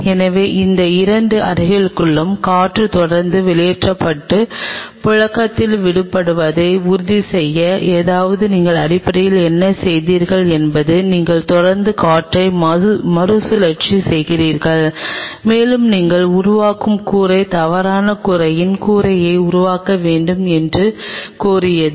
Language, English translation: Tamil, So, to ensure that the air inside both these rooms are being continuously pumped out and circulated; that means, what you are essentially doing is you are continuously recycling the air and that made demand that the roof what you make you may need to make the roof of false roof